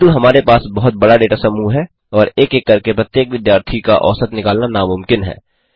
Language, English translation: Hindi, But we have such a large data set and calculating the mean of each student one by one is impossible